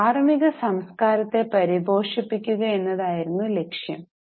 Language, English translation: Malayalam, So, the whole purpose was to nurture ethical culture